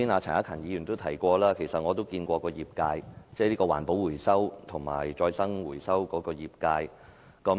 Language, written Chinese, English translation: Cantonese, 陳克勤議員剛才提到，其實我們曾與業界，即環保回收和再生回收的業界會面。, As mentioned by Mr CHAN Hak - kan just now actually we have met with the industry that means the recovery and recycling industry